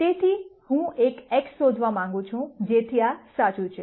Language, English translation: Gujarati, So, I want to find an x; such that this is true